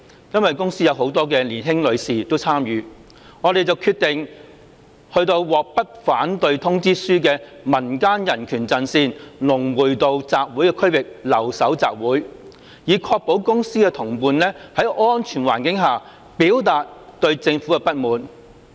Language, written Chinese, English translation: Cantonese, 因為公司很多年輕女士亦有參與，我們便決定去獲不反對通知書的民間人權陣線龍匯道集會區域留守集會，以確保公司的同伴在安全環境下表達對政府的不滿。, As many young ladies of my company joined in we decided to go to the area at Lung Wui Road where a letter of no objection for assembly was issued to the Civil Human Rights Front . We decided to stay there so as to ensure that my co - workers could express their discontent with the Government in a safe environment